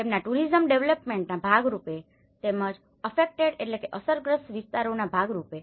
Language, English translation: Gujarati, As a part of their tourism development and as well as the affected areas